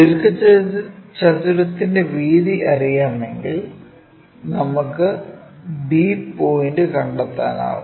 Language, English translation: Malayalam, And rectangle breadth is known, so we will be in a position to locate b point